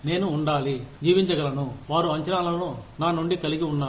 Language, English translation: Telugu, I need to be, able to live up, to the expectations, they have, from me